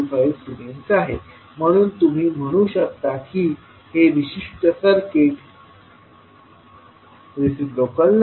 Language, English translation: Marathi, 25 Siemens, so you can say that this particular circuit is not reciprocal